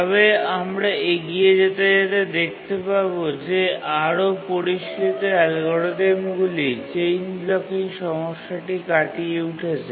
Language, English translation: Bengali, But we'll see that more sophisticated algorithms overcome the chain blocking problem